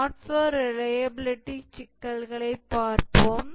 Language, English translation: Tamil, We will now start looking at the software reliability issues